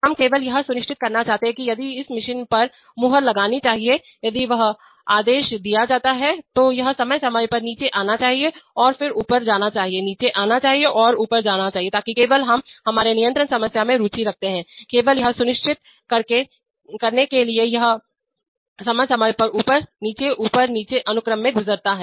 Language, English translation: Hindi, We want to only ensure that if this machine is supposed to stamp, if that command is given then it should periodically come down and then go up, come down and go up, so only that, we are only interested in the our control problem is only to ensure that it periodically goes through the up down, up down, up down sequence, that is all